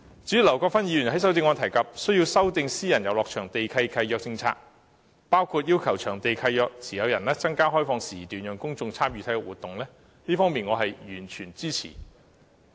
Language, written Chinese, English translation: Cantonese, 至於劉國勳議員在修正案中提及需要修訂私人遊樂場地契約的政策，包括要求場地契約持有人增加開放時段，讓公眾參與體育活動，這方面我是完全支持的。, Mr LAU Kwok - fans amendment discusses the need to amend the policy on private recreational leases including requiring lessees to increase the opening hours of facilities for public participation in sports activities . This commands my total support